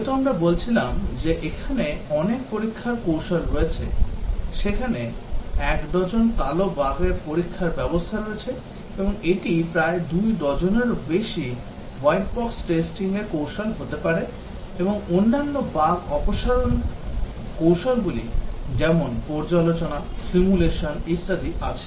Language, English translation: Bengali, As we were saying that there are many testing techniques, there are a dozen black bugs testing and may be more than two dozen white box testing techniques, and also there other bug removal techniques like, review, simulation and so on